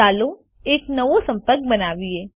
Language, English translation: Gujarati, Lets create a new contact